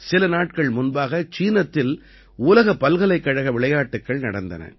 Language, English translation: Tamil, A few days ago the World University Games were held in China